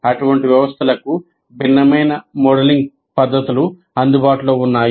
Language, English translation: Telugu, There are modeling methods available for such systems